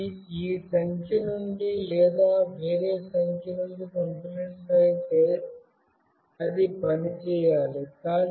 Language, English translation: Telugu, If it sends either from this number or from this number, then it should work